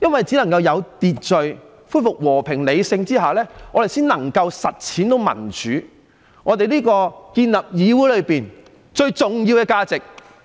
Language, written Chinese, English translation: Cantonese, 只要有秩序，恢復和平、理性，我們才能夠實踐民主，建立議會最重要的價值。, As long as order peace and reason are restored democracy can be realized and so can the most important values of the Council be established